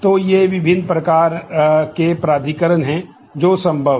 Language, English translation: Hindi, So, these are the different kinds of authorisation that are possible